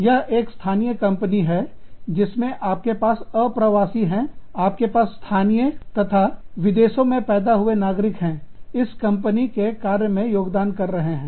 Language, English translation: Hindi, This is a domestic firm, in which, you could have immigrants, you could have, native, foreign born, and citizens, contributing to the, working of this firm